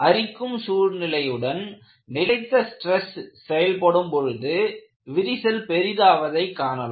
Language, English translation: Tamil, Sustained stress in conjunction with corrosive environment, you find crack advances